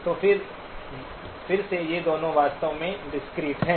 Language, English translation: Hindi, So again both of these are actually discrete